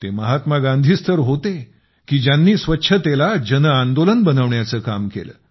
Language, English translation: Marathi, It was Mahatma Gandhi who turned cleanliness into a mass movement